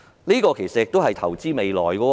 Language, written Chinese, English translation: Cantonese, 這其實也是投資未來。, In fact this is also an investment in the future